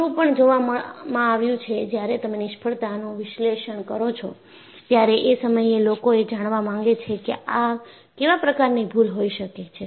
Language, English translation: Gujarati, When you look at the failure analysis, people want to find out, what kind of mistakes could have happened